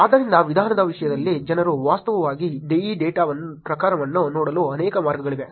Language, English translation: Kannada, So, in terms of methodology, there are actually multiple ways the people actually look at this data type